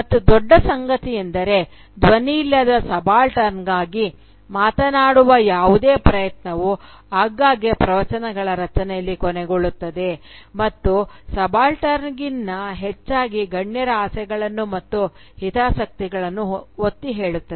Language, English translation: Kannada, And the larger point is that any attempt to speak for the voiceless subaltern often ends up in creation of discourses which are underlined by the desires and interests of the elites, rather than the subaltern